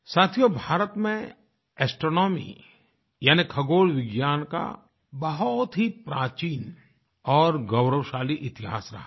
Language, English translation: Hindi, Friends, India has an ancient and glorious history of astronomy